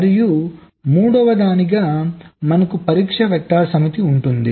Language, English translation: Telugu, and thirdly, we have a set of test vectors